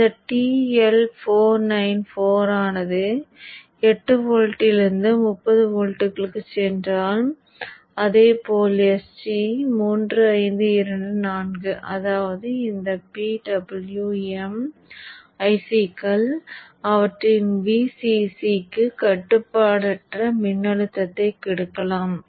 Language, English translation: Tamil, In fact, TL 494 goes from 8 volts to 30 volts and likewise even the HG 3525 to 4 so which means that these PWM ICs can take unregulated voltage for their VCC so this would out a PWM which will drive this particular device on and off